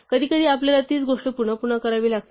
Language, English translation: Marathi, Sometimes we have to do the same thing again and again